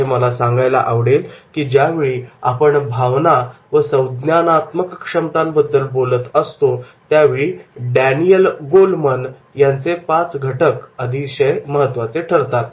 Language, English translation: Marathi, Here I would like to mention that is whenever we are talking about the emotions and cognitive ability, then the five factors of Daniel Goldman, they are becoming very, very important